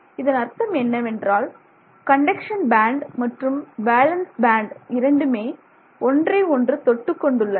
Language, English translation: Tamil, So, which means the conduction band and the valence band just about touch each other, okay